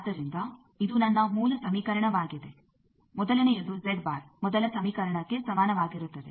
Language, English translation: Kannada, So this is my basic equation the first one Z bar is equal to the first equation